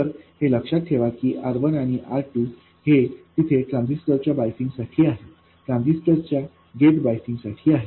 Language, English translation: Marathi, So, this component here, remember this R1 and R2, these are there for biasing the transistor, biasing the gate of the transistor